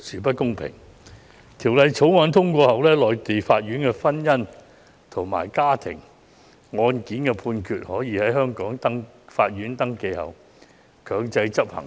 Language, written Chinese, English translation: Cantonese, 一旦《條例草案》獲通過，內地婚姻家庭案件判決經登記後，便可在香港法院強制執行。, Once the Bill is passed Mainland judgments in matrimonial and family cases will be enforceable in Hong Kong courts upon registration